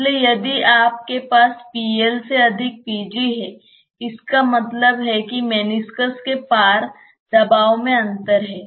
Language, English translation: Hindi, So, if you have p gas greater than p liquid that means, there is a pressure differential across the meniscus